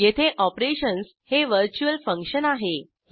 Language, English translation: Marathi, Here we have virtual function as operations